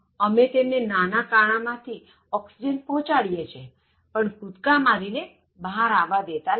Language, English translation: Gujarati, We just send them some oxygen through some small holes inside, but otherwise we don’t let them jump out